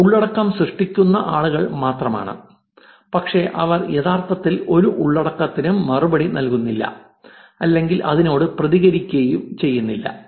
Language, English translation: Malayalam, But no replies, they're just the people who are creating the original content, but they actually do not reply to any of the content, reply or react to it